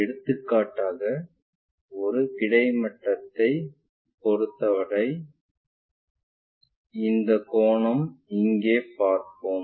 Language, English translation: Tamil, For example, this angle with respect to horizontal we will see it here